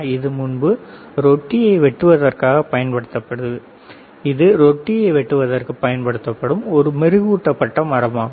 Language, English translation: Tamil, So, it was earlier used to actually cut the bread, it was a polished wood used to cut the bread, right